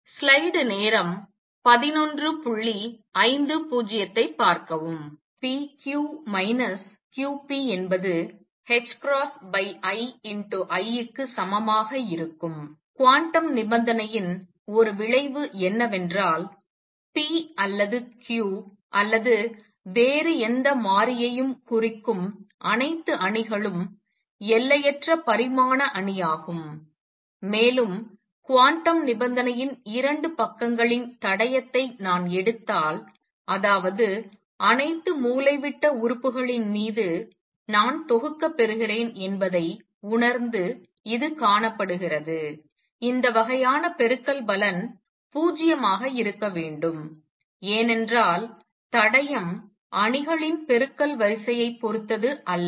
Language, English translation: Tamil, One consequence of the quantum condition that p q minus q p is equal to h cross over i times the identity matrix is that all matrices representing p or q or any other variable are infinite dimension matrix and that is seen by realizing that if I take the trace of 2 sides of the quantum condition which means i sum over all the diagonal elements, it is supposed to be 0 for such kind of product because the trace does not depend on the order of multiplication of matrices